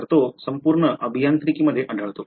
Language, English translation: Marathi, So, it is found throughout engineering